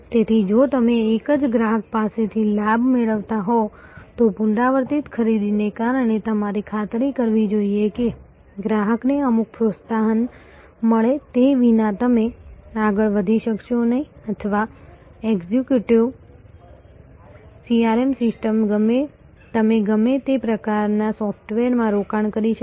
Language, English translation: Gujarati, So, if you are gaining from the same customer, because of is repeat purchase you must ensure, that the customer get some incentive without that you will not be able to proceed or executive CRM system whatever you may be are investment in all kinds of software it will be of no use